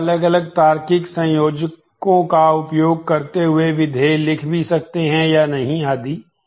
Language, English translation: Hindi, You can also write predicates using the different logical connectives and or not and so on